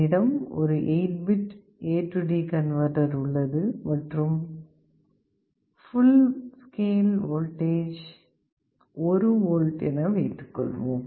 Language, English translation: Tamil, Suppose I have an 8 bit A/D converter and my full scale voltage is 1 volt